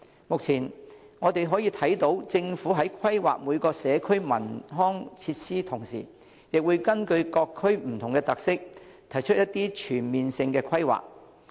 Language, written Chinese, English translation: Cantonese, 目前我們可以看到政府在規劃每個社區的文康設施的同時，亦會根據各區不同的特色，提出一些全面性的規劃。, At present we note that when planning for cultural and recreational facilities in individual communities the Government will also propose an overall direction of planning taking into account their unique characteristics